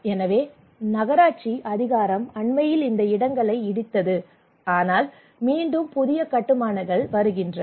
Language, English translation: Tamil, So municipal authority actually demolished these places recently, but again new constructions are coming